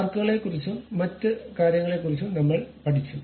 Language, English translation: Malayalam, Now, we have learned about arcs and other thing